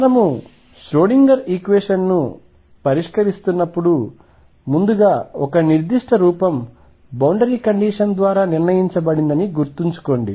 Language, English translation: Telugu, Remember earlier when we where solving the Schrödinger equation a particular form of the solution was decided by the boundary condition